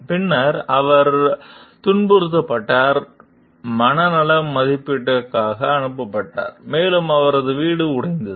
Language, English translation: Tamil, She was subsequently harassed, sent for psychiatric evaluation, and had her home broken to